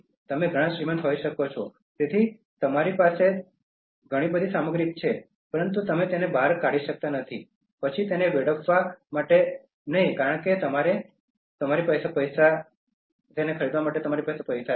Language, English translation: Gujarati, You may be very rich, so you have lot of materials at your disposal, but you cannot just throw them out and then waste them just because you have money at your disposal to buy them